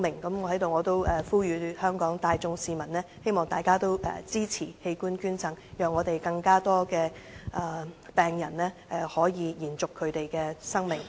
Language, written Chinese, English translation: Cantonese, 我在此也呼籲香港市民支持器官捐贈，讓我們有更多病人可以延續他們的生命。, Here I call on Hong Kong people to support organ donation so that more patients can have a new lease of life